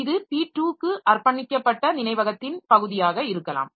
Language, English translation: Tamil, So, this may be the portion of the memory dedicated for P2